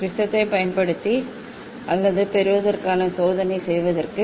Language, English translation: Tamil, for doing experiment either using prism or getting